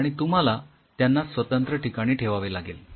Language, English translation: Marathi, So, you needed to keep them at separate spots